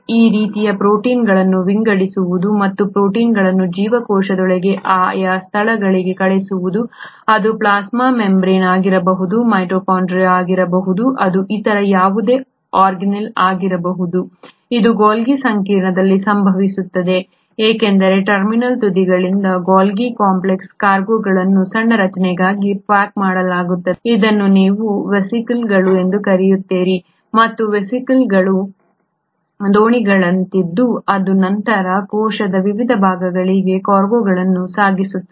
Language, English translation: Kannada, That kind of sorting of proteins and sending the proteins to the respective destinations within a cell, it can be a plasma membrane, it can be a mitochondria, it can be any other organelle, that happens at the Golgi complex because from the terminal ends of Golgi complex the cargo gets packaged into small structures which is what you call as the vesicles, and it is these vesicles which are like the ferries which will then ferry the cargo to various parts of the cell